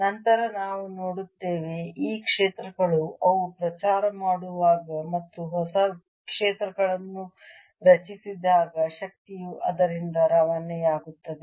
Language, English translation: Kannada, then we'll see that these fields as they propagate and new fields are created, energy also gets transported by it